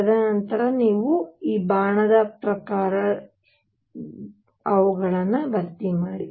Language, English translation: Kannada, And then you fill them according to this arrow